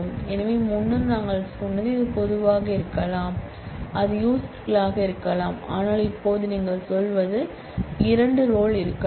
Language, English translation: Tamil, So, earlier we said it could be public, it could be users, but now you are saying that it could be two roles